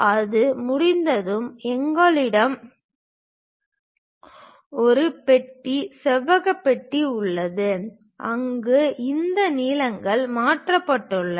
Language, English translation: Tamil, Once it is done we have a box, rectangular box, where these lengths have been transferred